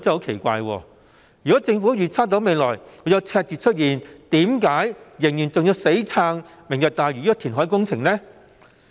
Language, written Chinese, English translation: Cantonese, 奇怪的是，如果政府預測未來會出現赤字，為何仍然要死撐"明日大嶼"這個填海工程？, Strangely if the Government predicts deficits in the coming years why does it still staunchly support the Lantau Tomorrow reclamation project?